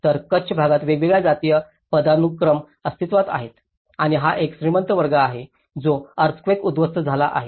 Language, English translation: Marathi, So, different caste hierarchies existed in the Kutch area and this is one of the rich class and which has been destructed during the earthquake